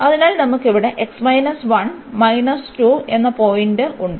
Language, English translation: Malayalam, So, this is the line here